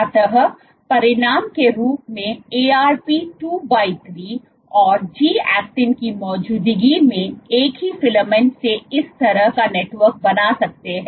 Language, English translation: Hindi, So, as a consequence you can from a single filament in the presence of Arp 2/3 and G actin you can form a network like this